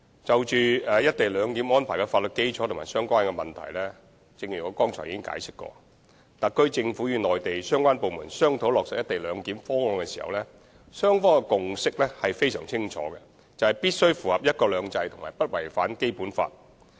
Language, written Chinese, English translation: Cantonese, 關於"一地兩檢"安排的法律基礎和相關問題，正如我剛才所作解釋，特區政府與內地相關部門商討落實"一地兩檢"的方案時，雙方的共識非常清楚，就是必須符合"一國兩制"及不違反《基本法》。, Regarding the legality and other related aspects of co - location clearance as I have explained just now all the relevant discussions between the SAR Government and the Mainland authorities concerned have been based on the clear consensus that any such arrangement must comply with one country two systems and must not contravene the Basic Law